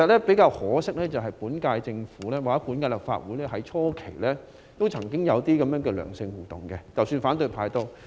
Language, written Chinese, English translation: Cantonese, 比較可惜的是，本屆政府與本屆立法會初期曾經有這樣的良性互動，反對派亦然。, Rather regrettably there was such favourable interaction initially between the current - term Government and this Legislative Council including the opposition camp